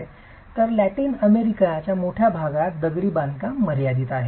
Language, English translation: Marathi, In fact, large areas of Latin America have confined masonry constructions